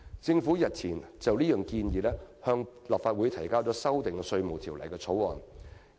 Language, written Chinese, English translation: Cantonese, 政府日前已就這項建議，向立法會提交了修訂《稅務條例》的條例草案。, Earlier the Government has already introduced a bill into the Legislative Council to amend the Inland Revenue Ordinance